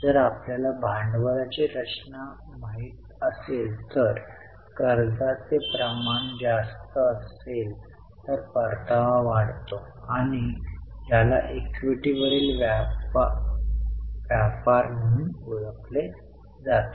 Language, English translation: Marathi, If you in your capital structure there is a higher quantum of debt, the return tends to increase which is known as trading on equity